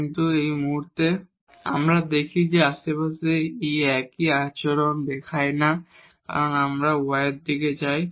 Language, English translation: Bengali, But at this point if we see that in the neighborhood it is not showing the same behavior because if we go in the direction of y